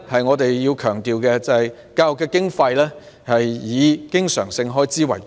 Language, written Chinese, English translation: Cantonese, 我們要強調的是，教育經費以經常性開支為主。, We have to emphasize that funds allocated to education are mainly spent on recurrent expenditures